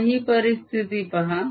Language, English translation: Marathi, now look at a situation